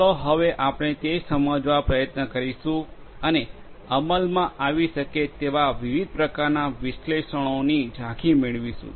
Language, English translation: Gujarati, Let us now try to understand and get an over overview of the different types of analytics that could be executed